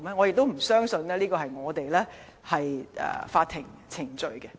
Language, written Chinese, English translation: Cantonese, 我不相信我們的法庭程序是這樣的。, I do not think this is allowed under our court proceedings